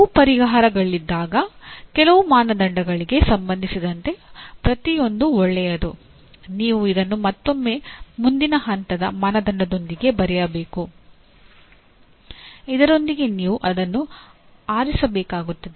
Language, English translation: Kannada, When there are multiple, each one is good with respect to some criteria, you have to again come with another next level criterion from which you have to select this